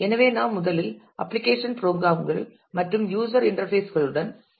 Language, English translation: Tamil, So, we first start with application programs and user interfaces